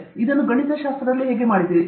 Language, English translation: Kannada, How did you do it in mathematics